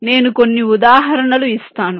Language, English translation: Telugu, i shall give some examples